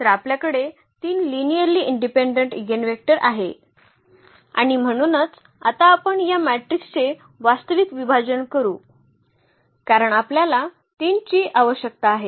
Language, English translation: Marathi, So, we have 3 linearly independent linearly independent eigenvector and that is the reason now we can actually diagonalize this matrix because we need 3 matrices